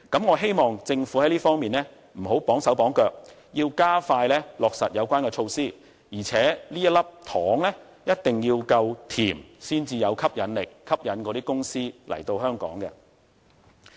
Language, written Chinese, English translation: Cantonese, 我希望政府在這方面不要"綁手綁腳"，要加快落實有關的措施，而且這粒糖一定要夠甜，才有吸引力，能夠吸引那些公司來港。, I hope the Government will relax all the restrictions in this regard and implement the relevant measures as soon as possible . Besides the candies handed out should be sweet enough to induce companies to do business in Hong Kong